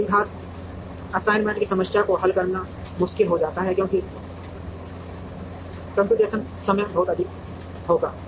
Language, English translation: Hindi, And it becomes difficult to solve the quadratic assignment problem optimally, because the computational time will be very high